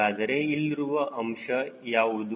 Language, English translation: Kannada, so there, what is the role of this